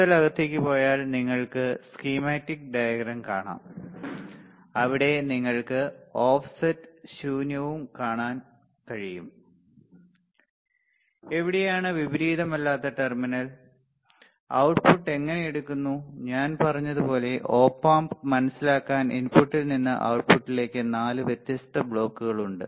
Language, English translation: Malayalam, If further go in you will see the schematic diagram, where you can see the off set and null you can see here where is the inverting where is the non inverting terminal, how the output is taken and like I said it has a 4 different blocks from input to output to understand the op amp right